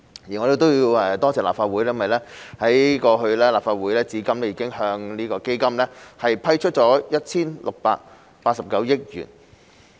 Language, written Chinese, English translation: Cantonese, 而我亦要感謝立法會，因為立法會至今已向基金批出了 1,689 億元。, I would also like to thank the Legislative Council for having approved 168.9 billion for AEF so far